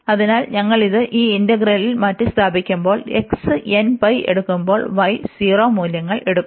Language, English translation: Malayalam, So, when we substitute this in this integral, so when the x was taking n pi values, the y will take 0 values